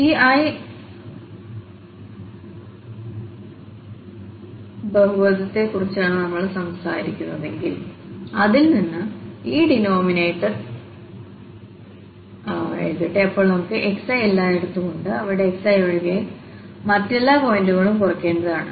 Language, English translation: Malayalam, So, the first let me just write down this denominator from this if we are talking about the ith, this polynomial then we have xi, xi, xi everywhere and all other points other than xi has to be subtracted there